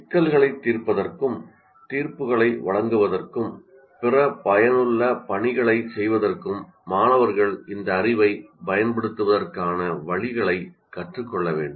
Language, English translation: Tamil, And also the students must learn ways to use this knowledge to solve problems, make judgments, and carry out other useful tasks